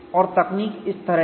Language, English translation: Hindi, And the approach is like this